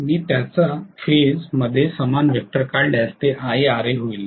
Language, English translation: Marathi, If I draw a similar vector in phase with that, that is going to be Ia Ra